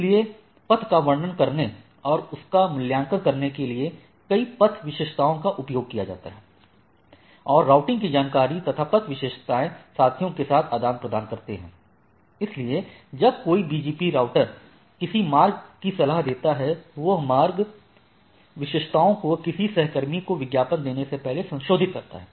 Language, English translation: Hindi, So, there are several path attributes are used to describe and evaluate a path, peers exchange path attributes along with other routing informations So, when a BGP router advise a route, it can add or modify the path attributes before advertising the route to a peer